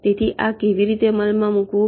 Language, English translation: Gujarati, so how do implement this